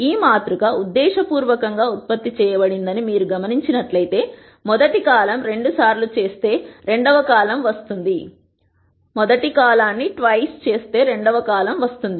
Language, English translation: Telugu, If you notice this matrix has been deliberately generated such that the second column is twice column one